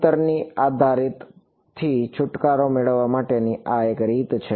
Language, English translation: Gujarati, This is one way of getting rid of the distance dependence ok